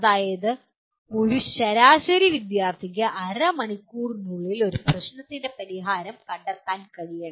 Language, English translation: Malayalam, That means an average student should be able to find the solution to a problem within half an hour